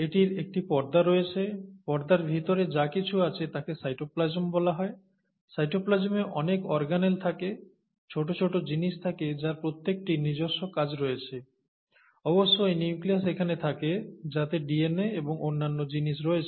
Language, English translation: Bengali, This has a membrane, and inside the membrane whatever is there is called the cytoplasm, and in the cytoplasm you have a lot of organelles, small small small things, that have, each one has their own function, and of course the nucleus is here, indicated here which contains DNA and other things, okay